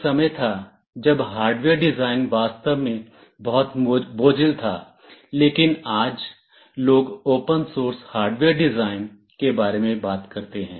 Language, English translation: Hindi, There was a time when hardware design was really very cumbersome, but today people are talking about open source hardware design